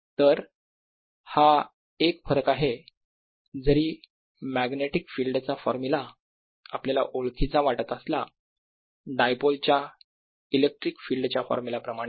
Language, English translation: Marathi, alright, so that is one difference, although the formula for the magnetic field may look similar to the formula for the electric field of a dipole, but there are no free magnetic poles